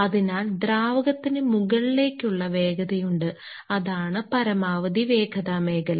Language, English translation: Malayalam, So, the fluid is having a upward velocity and that is the maximum velocity zone